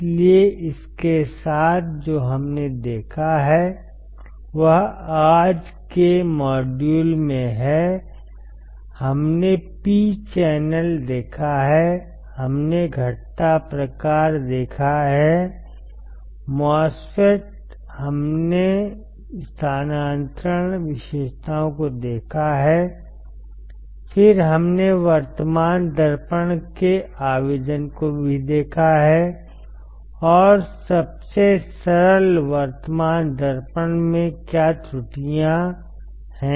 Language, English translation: Hindi, So, with this what we have seen we had in the today’s module, , we have seen P channel we have seen depletion type, MOSFET we have seen the transfer characteristics, then we have also seen the application of the current mirror, and how what are the errors in the simplest current mirror